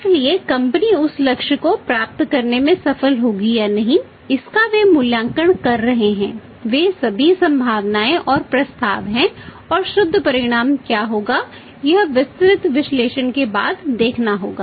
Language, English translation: Hindi, So, whether the company will succeed in achieving that target or not they are evaluating all these is a possibility and propositions and what will be the net result that has to be seen after the detailed analysis